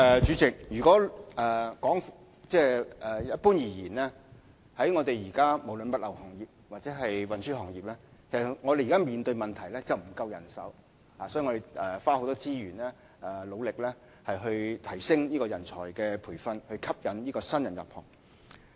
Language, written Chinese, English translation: Cantonese, 主席，一般而言，不論是在物流業或運輸行業，我們現時均面對人手不足的問題，因此我們要花很多資源來努力提升人才培訓的工作，以吸引新人入行。, President in general both the logistics industry and the transport industry are now facing the problem of manpower shortage . Hence we have to invest more resource to enhance talent training and attract new blood to join the industries